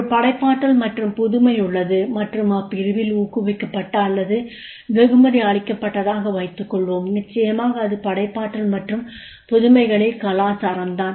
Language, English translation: Tamil, Suppose there is a creativity and innovation or encouraged or rewarded in my unit, then definitely there is a culture of creativity and innovation